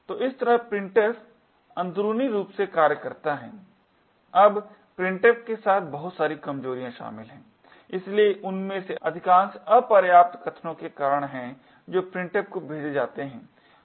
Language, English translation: Hindi, Now, there are a lot of vulnerabilities involved with the printf, so most common of them is due to insufficient arguments which are passed to printf